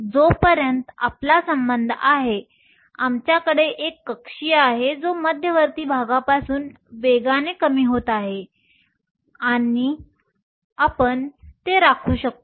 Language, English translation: Marathi, As far as we are concerned we have an orbital that is exponentially decreasing away from the nucleus and we will keep it that